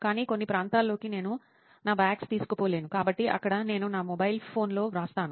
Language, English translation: Telugu, But in some areas I cannot take my bags, so there I write in my mobile phone